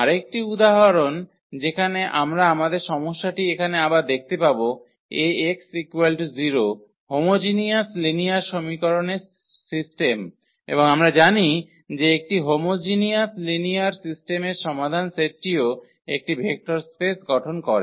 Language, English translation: Bengali, Another example where we will revisit the our problem here A x is equal to 0, the system of homogeneous linear equations and we know that the solutions set of a homogeneous linear system also forms a vector space